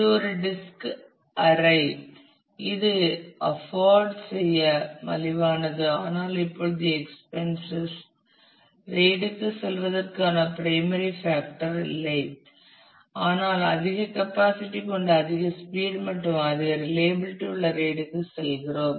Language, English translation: Tamil, So, it was kind of a disk array which was inexpensive to afford, but now it is not particularly the expenses is not the primary factor for which we do go for RAID, but we go for RAID for the high capacity high speed and high reliability